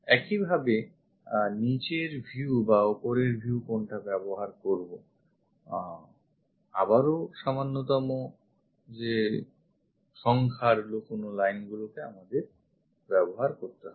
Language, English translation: Bengali, Similarly, whether to use bottom view or top view again fewest number of hidden lines we have to use